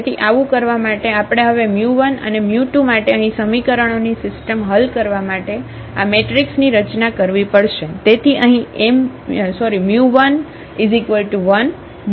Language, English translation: Gujarati, So, to do so, we have to now again form this augmented matrix to solve this system of equations here for mu 1 and mu 2